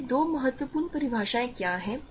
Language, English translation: Hindi, So, what are these two important definitions